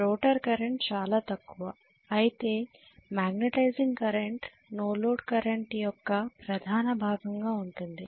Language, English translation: Telugu, The rotor current is very minimal whereas I am going to have magnetizing current is the major portion of the no load current